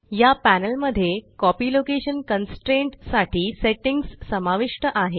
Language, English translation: Marathi, This panel contains settings for the Copy location constraint